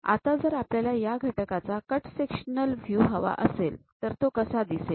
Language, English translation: Marathi, And we would like to have cut sectional view of this element, how it looks like